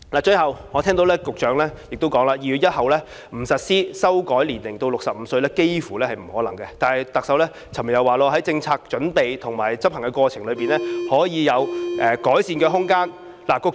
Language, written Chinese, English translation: Cantonese, 最後，我聽到局長說2月1日不實施修改年齡至65歲，幾乎接近不可能，但特首昨天卻說，在政策準備和執行過程中，可以有改善的空間。, Lastly I heard the Secretary say that it is almost impossible not to implement the revision of the eligibility age to 65 on 1 February but yesterday the Chief Executive said there is room for improvement during the course of preparation and implementation of the policy